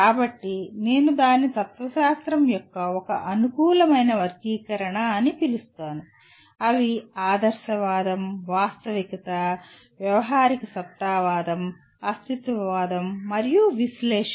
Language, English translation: Telugu, So I call it one convenient classification of philosophy is idealism, realism, pragmatism, existentialism, and analysis